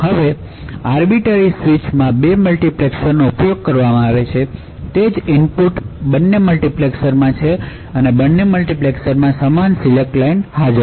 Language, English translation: Gujarati, Now, in an arbiter switch two multiplexers are used, the same input is switched to both multiplexers present and both multiplexers have the same select line